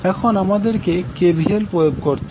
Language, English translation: Bengali, Now what we have to do, we have to apply the KVL